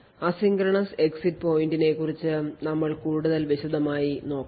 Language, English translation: Malayalam, It should also define something known as asynchronous exit pointer which we will actually see a bit later